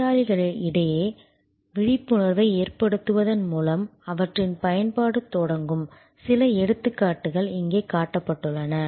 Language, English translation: Tamil, And some of the examples are shown here, the use they start with awareness creation among patients